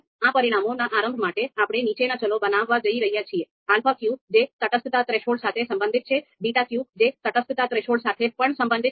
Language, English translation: Gujarati, So now we have for the initialization, we are going to create these variables; alpha underscore q so this is one which is related indifference threshold, the beta underscore q which is also related to indifference threshold